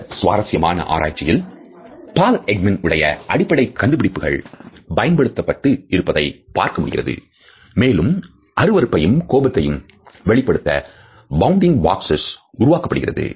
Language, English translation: Tamil, In this very interesting research, we find that the basic findings of Paul Ekman etcetera have been used and bounding boxes for disgust and anger have been created